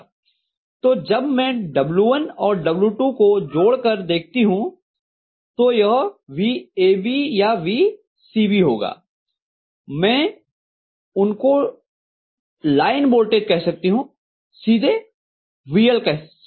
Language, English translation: Hindi, So I am going to have when I calculate W1 plus W2 it will be VAB or VCB I can call them as line voltage, VL directly